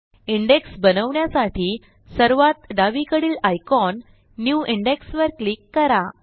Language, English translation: Marathi, Let us click on the left most icon, New Index, to create our index